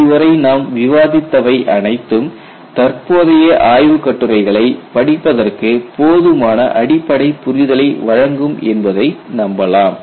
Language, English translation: Tamil, I am sure whatever we have discussed will provide you enough basic understanding for you to read the correct literature